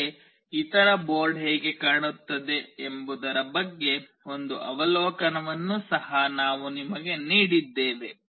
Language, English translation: Kannada, But we have also given you an overview of how other board looks like